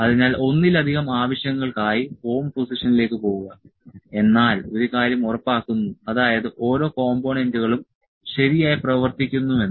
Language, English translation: Malayalam, So, going to home position multiple purpose purposes is, one thing is it is made sure that each and every components of working properly